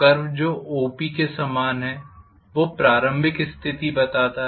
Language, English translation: Hindi, The curve which is corresponding to OP that represents the initial condition